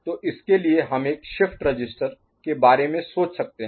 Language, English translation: Hindi, So, for that we can think of a shift register